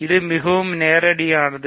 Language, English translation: Tamil, So, this is very straightforward